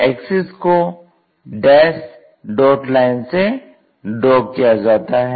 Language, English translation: Hindi, So, axis dash dot line